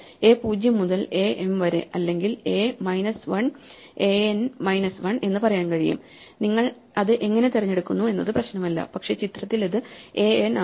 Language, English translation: Malayalam, So, we can say a 0 to a m or a minus 1 a n minus 1, it does not matter how you choose it, but in the picture it says a n, but if you want to you can remove this last